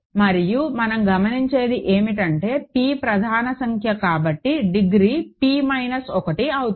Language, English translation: Telugu, And what we observe is that because p is a prime number the degree will be p minus one